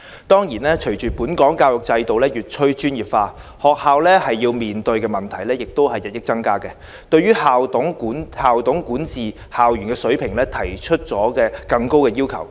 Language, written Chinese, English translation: Cantonese, 當然，隨着本港教育制度越趨專業化，學校要面對的問題亦日益增加，對校董管治校園的水平提出更高的要求。, Of course as education in Hong Kong is getting increasingly specialized schools will have to face more problems and people will be more demanding to school managers in school governance